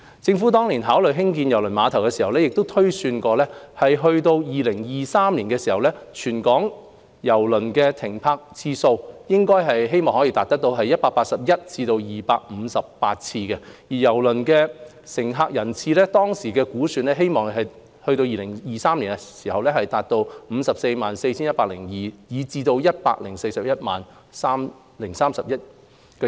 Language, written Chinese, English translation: Cantonese, 政府當年考慮興建郵輪碼頭時，曾推算到2023年，全港郵輪停泊次數希望可達到181次至258次，而郵輪乘客人次，當時的估算，希望到2023年可達到 564,102 至 1,041 031。, Back in the earlier years when the Government was considering the construction of KTCT it was projected that the number of ship calls and cruise passenger throughput in Hong Kong as a whole would range from 181 to 258 and from 564 102 to 1 041 031 respectively by 2023